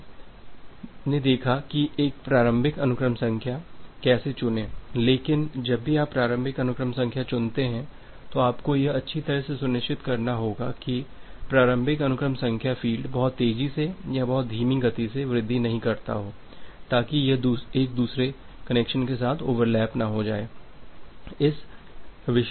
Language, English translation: Hindi, Now, we have looked into that how to chose a initial sequence number, but whenever you are choosing the initial sequence number you have to ensure that well your initial sequence the sequence number field does not increase too fast or too slow such that it gets overlapped with another connection